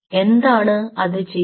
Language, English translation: Malayalam, ok, what you do